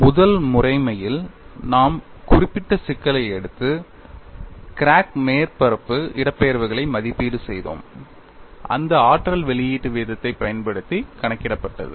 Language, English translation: Tamil, In the first methodology, we took up a specific problem and evaluated the crack surface displacements, using that energy release rate was calculated